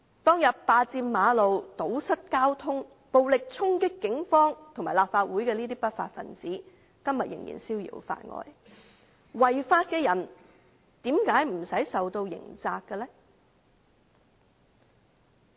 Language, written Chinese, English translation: Cantonese, 當天佔據道路、堵塞交通、暴力衝擊警方和立法會的不法分子今天仍然逍遙法外，違法的人為何不用負上刑責的呢？, The lawbreakers who occupied the roads blocked traffic and violently charged at the Police and the Legislative Council back then are still at large today . Why do people who have broken the law need not bear any criminal responsibility?